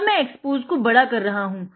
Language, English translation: Hindi, Let me increase the exposure